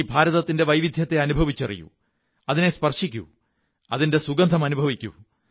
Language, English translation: Malayalam, We should feel India's diversity, touch it, feel its fragrance